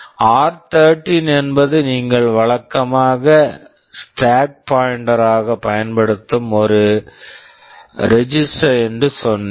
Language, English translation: Tamil, I said r13 is a register that you typically use as the stack pointer